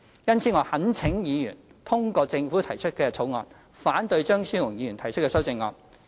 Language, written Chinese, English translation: Cantonese, 因此，我懇請議員通過政府提出的《條例草案》，反對張超雄議員提出的修正案。, Thus I implore Members to pass the Bill introduced by the Government and oppose Dr Fernando CHEUNGs amendments